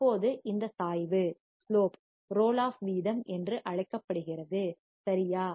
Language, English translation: Tamil, Now, this slope right is called roll off rate